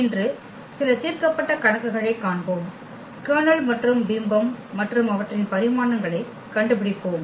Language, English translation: Tamil, And today, we will see some worked problems where we will find out the Kernel and the image and their dimensions